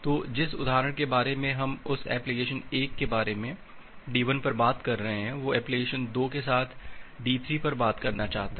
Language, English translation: Hindi, So, the example that we are talking about that application 1 on D1 wants to talk with application 2 at D3